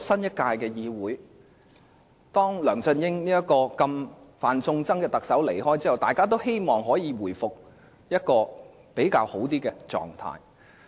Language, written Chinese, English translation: Cantonese, 在梁振英這位"犯眾憎"特首離開後，大家都希望本屆立法會可以回復至較好的狀態。, After the departure of LEUNG Chun - ying the Chief Executive detested by all we all hope that the current - term Legislative Council will be in a better state